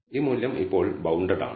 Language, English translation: Malayalam, So, this value is now bounded